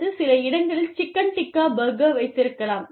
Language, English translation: Tamil, Or, maybe, you could have, the chicken tikka burger, in some places